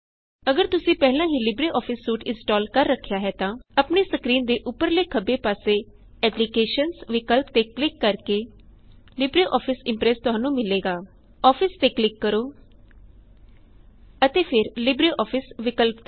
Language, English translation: Punjabi, If you have already installed LibreOffice Suite, you will find LibreOffice Impress by clicking on the Applications option at the top left of your screen and then clicking on Office and then on LibreOffice option